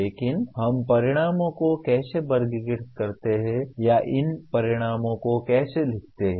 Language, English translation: Hindi, But how do we classify outcomes or how do we write these outcomes